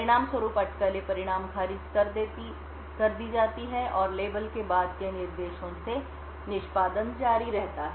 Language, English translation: Hindi, As a result the speculated results are discarded and execution continues from the instructions following the label